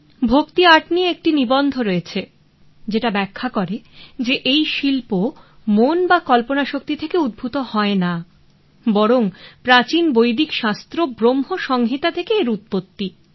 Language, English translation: Bengali, So, bhakti art we have one article in the bhakti art illuminations which explains how this art is not coming from the mind or imagination but it is from the ancient Vedic scriptures like Bhram Sanhita